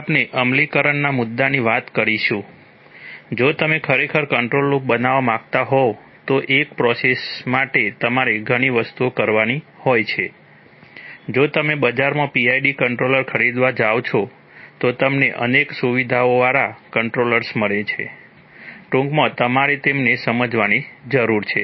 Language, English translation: Gujarati, Today we are going to talk about the implementation issue, if you really want to make a control loop what for a process, there are several things that you have to do, if you go to buy a PID controller in the market, you find controllers with several features and you briefly, you need to understand them